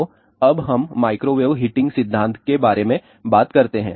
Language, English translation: Hindi, So, now, let us talk about a microwave heating principle